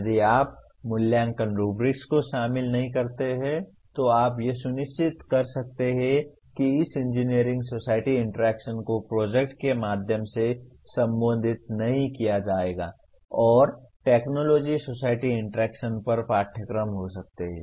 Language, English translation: Hindi, If you do not incorporate evaluation rubrics you can be sure that this engineer society interaction would not be addressed through the project and there can be courses on technology society interaction